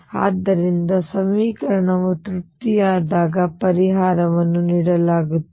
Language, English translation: Kannada, So, solution is given when equation satisfied